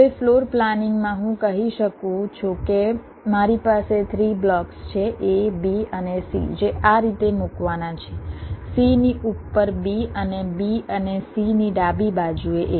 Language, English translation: Gujarati, now in floor planning i can say that i have three blocks, a, b and c, which has to be placed like this, b on top of c and a to the left of b and c